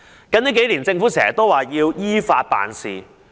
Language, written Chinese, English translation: Cantonese, 近年，政府經常表示要依法辦事。, In recent years the Government has reiterated the need to act in accordance with the law